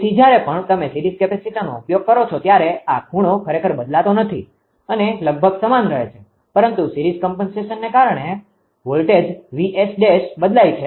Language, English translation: Gujarati, So, whenever you series capacitor this angle is not change actually right almost same but due to the series compensation the voltage VS dash has changed